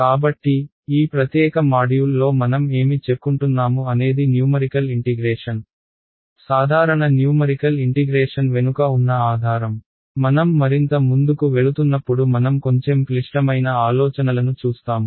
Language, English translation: Telugu, So, what is what I wanted to convey in this particular module is the basis behind numerical integration, simple numerical integration ok; as we go further we will look at little bit more complicated ideas ok